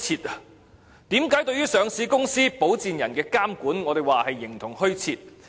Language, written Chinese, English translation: Cantonese, 為何說對於上市公司、保薦人的監管是形同虛設？, Why do I say that the regulation of sponsors exists in name only as far as listing companies are concerned?